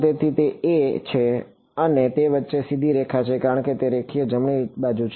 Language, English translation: Gujarati, So, it is a and it is a straight line in between because it is linear right